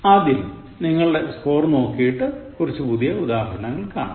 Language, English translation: Malayalam, Let’s check your score and then look at some new examples